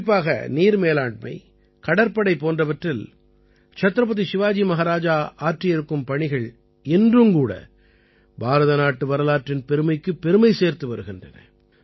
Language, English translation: Tamil, In particular, the work done by Chhatrapati Shivaji Maharaj regarding water management and navy, they raise the glory of Indian history even today